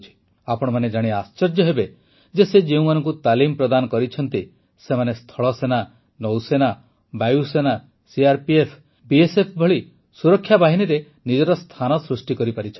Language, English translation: Odia, You will be surprised to know that the people this organization has trained, have secured their places in uniformed forces such as the Army, Navy, Air Force, CRPF and BSF